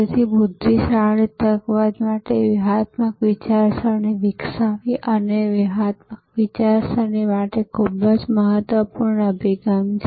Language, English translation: Gujarati, So, developing strategic thinking for intelligent opportunism is a very important approach to strategic thinking